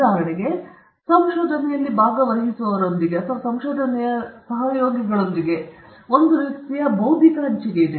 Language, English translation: Kannada, For example, with participants in research or rather with collaborators in research, there is a kind of intellectual sharing